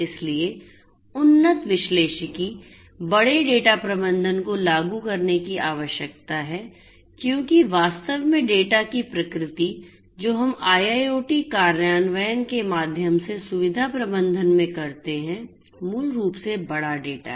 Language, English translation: Hindi, So, advanced analytics big data management needs to be implemented because actually the nature of the data that we deal in facility management through the IIoT implementations are basically the big data